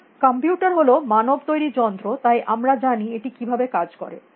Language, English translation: Bengali, So, computers are manmade objects; we know how they operate